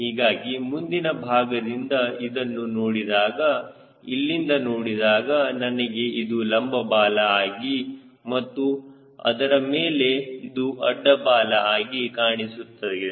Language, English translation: Kannada, if i see from here is if i see and see, this is the vertical tail and over that this is the horizontal tail